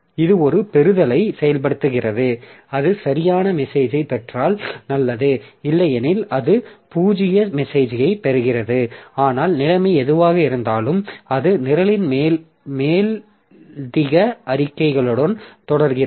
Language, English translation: Tamil, So, it executes a receive, it is good if it gets a valid message, otherwise it gets a null message but whatever be the situation it continues with the further statements in the program